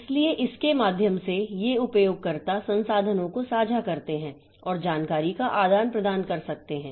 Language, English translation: Hindi, So, to go through it, so these users share resources and may exchange information